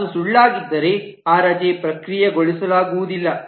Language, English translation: Kannada, If it is false, then that leave cannot be processed